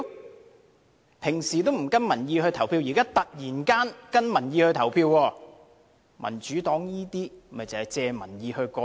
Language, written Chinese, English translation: Cantonese, 他們平時不跟民意投票，現在突然間跟從民意投票，民主黨這做法是藉民意"過橋"。, While they normally have not voted in line with public opinions they have suddenly claimed to do so in this election which simply shows that the Democracy Party has made use of public opinions to their advantage